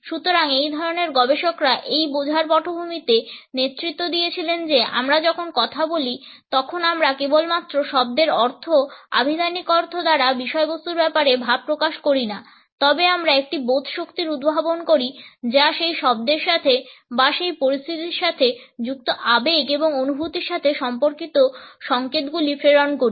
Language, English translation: Bengali, So, these type of researchers led the background to this understanding that when we speak we do not only voice the content projected by the meaning, the lexical meaning of a word but we also project and understanding or we pass on signals related with the emotions and feelings associated with that word or with that situation